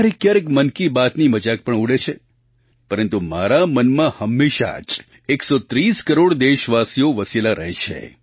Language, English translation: Gujarati, At times Mann Ki Baat is also sneered at but 130 crore countrymen ever occupy a special pleace in my heart